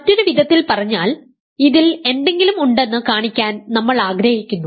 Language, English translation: Malayalam, So, in other words we want to show that there is something